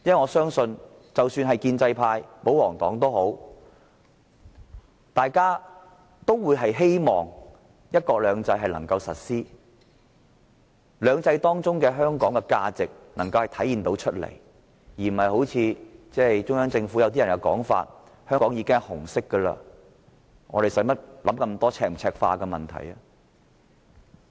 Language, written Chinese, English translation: Cantonese, 我相信，即使是建制派或保皇黨，都希望"一國兩制"能夠落實，使"兩制"中的香港能夠體現其價值，而不是如同中央政府某些官員所說，香港本來就是紅色，何須多想赤化與否的問題。, In my view even the pro - establishment camp or the royalists would love to see the success of one country two systems and Hong Kong demonstrating its value under two systems . They will not agree with the remarks of the Central Government official that there is no question of Mainlandizing Hong Kong as it is already red